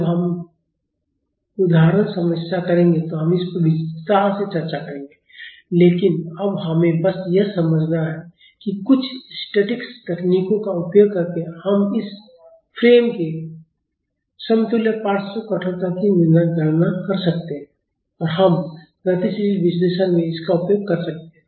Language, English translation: Hindi, We will discuss this in detail when we do example problems, but now we just have to understand that using some statics techniques we can calculate the equivalent lateral stiffness for this frame and we can use that in dynamic analysis